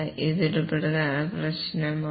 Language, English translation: Malayalam, This is an important problem